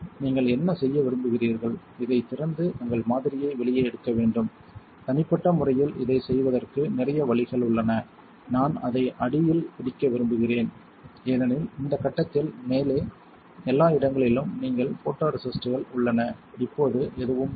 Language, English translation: Tamil, What you want to do is open this and take your sample out, there is a lot of ways of doing this personally I like to grab it underneath because you have photoresists all over the top at this point right, now there is none